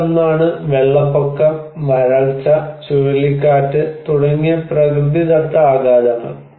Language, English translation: Malayalam, One is the natural shocks like flood, drought, and cyclone